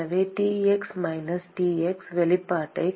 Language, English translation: Tamil, So, Tx minus Ts, we can rewrite the expression as